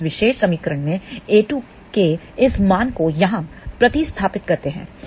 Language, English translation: Hindi, We substitute this value of a 2 in this particular equation here